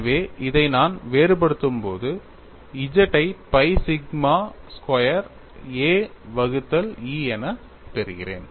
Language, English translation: Tamil, So, when I differentiate this, I get G as pi sigma squared a divided by E